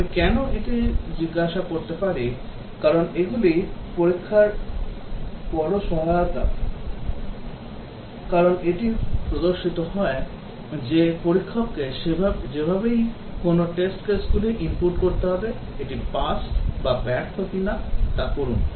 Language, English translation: Bengali, Can I ask why, why these are big help in testing, because it appears that the tester has to anyway design test cases input them, judge whether it is pass or fail